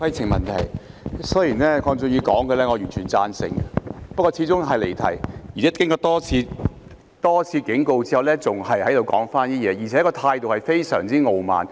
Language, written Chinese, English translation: Cantonese, 雖然鄺俊宇議員發言的內容，我完全贊成，不過他始終是離題，而且經過主席多次警告後，他仍然說同一番話，而且態度非常傲慢。, Although I entirely agree with what Mr KWONG Chun - yu has said he has nevertheless digressed from the subject and despite the repeated warnings given by the President he still made the same remarks and his manner was very arrogant